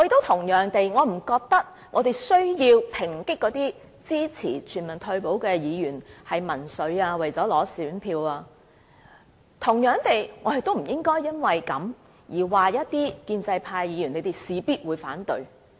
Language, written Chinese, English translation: Cantonese, 同樣地，我不認為我們需要抨擊那些支持全民退保的議員是民粹主義或只是為了取得選票而支持，而同樣地，我們亦不應該因此而說一些建制派議員必定會反對。, Likewise I do not think that we should criticize those Members who support universal retirement protection for being populists or for currying favour with electors . Similarly we should not conclude that pro - establishment Members will definitely oppose the proposal